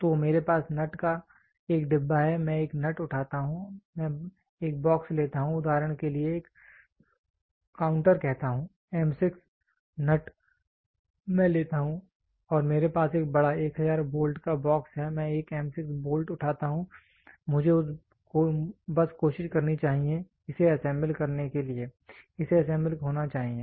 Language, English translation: Hindi, So, I have a nut a box of nut is there I pick one nut I take a box a counter say for example, M 6 nut I take and I have a big box of 1000s bolt I pick one M 6 bolt I should just try to mate it, it should assemble